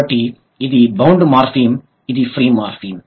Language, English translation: Telugu, So, these are the free morphemes